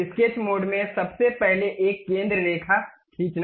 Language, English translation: Hindi, In the sketch mode, first of all draw a centre line